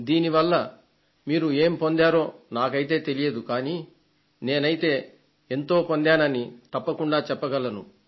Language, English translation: Telugu, I am not sure of what you gained, but I can certainly say that I gained a lot